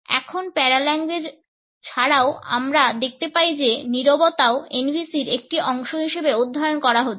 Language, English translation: Bengali, Now, in addition to paralanguage we find that silence is also being studied as a part of NVC